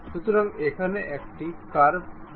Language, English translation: Bengali, So, we have a curve